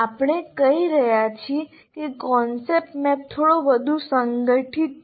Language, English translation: Gujarati, Concept map is a little more organized, structured